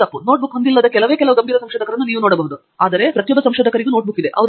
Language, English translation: Kannada, You will find very few serious researchers, who do not have a notebook, everybody has a notebook